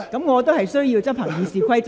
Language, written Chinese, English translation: Cantonese, 我必須執行《議事規則》。, I must enforce the Rules of Procedure